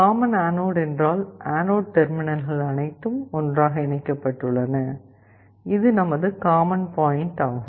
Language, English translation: Tamil, Common anode means the anode terminals are all connected together and this is your common point